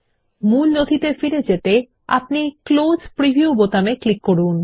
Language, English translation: Bengali, To get back to the original document, click on the Close Preview button